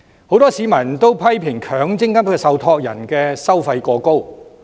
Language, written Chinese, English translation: Cantonese, 很多市民也批評，強積金受託人的收費過高。, Many members of the public criticize the MPF trustees of charging excessively high fees